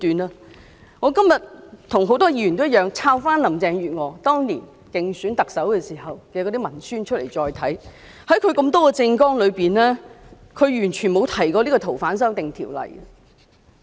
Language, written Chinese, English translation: Cantonese, 跟很多議員一樣，我今天也找出林鄭月娥當年競選特首時的文宣再次細讀，發現她多項政綱中，並無提及修訂《逃犯條例》。, Like many Members I took out the pamphlet Carrie LAM used in the Chief Executive Election and studied it carefully today . I discover that among the many items in her manifesto there is no mention of the amendment of the Fugitive Offenders Ordinance